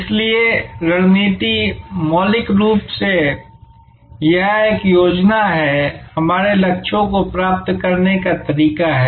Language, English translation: Hindi, So, strategy, fundamentally it is a plan, the way to achieve our goals